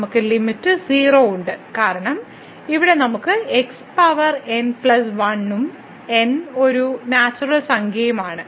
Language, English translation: Malayalam, So, we have the limit because here we have the power plus and n is a natural number